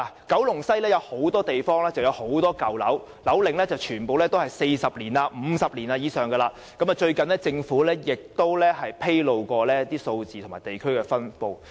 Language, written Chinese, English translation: Cantonese, 九龍西有很多舊樓，樓齡超過40年或50年，而政府在最近亦曾披露有關的數字和分布情況。, There are many old buildings in West Kowloon aged over 40 or 50 years . The relevant figures and distribution of such buildings have been disclosed by the Government recently